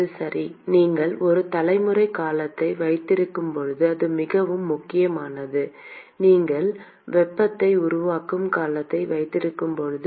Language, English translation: Tamil, That is right, when you have a generation term this is very important when you have a heat generation term